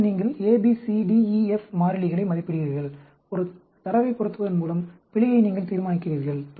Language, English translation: Tamil, Then, you estimate the constants A, B, C, D, E, F; by fitting the data, you determine the error